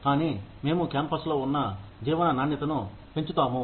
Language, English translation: Telugu, But, we will enhance the quality of life, that they have on campus